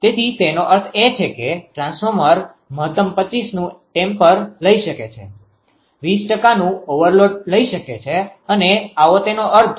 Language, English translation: Gujarati, So that means, the temper the transformer can take a maximum of 125; 120 percent of the over load that is how that is the meaning